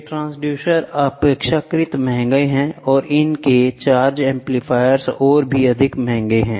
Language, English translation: Hindi, These transducers are relatively expensive and their charge amplifiers even more